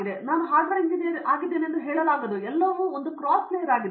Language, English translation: Kannada, Today I cannot say I am a hardware engineer everything today is cross layer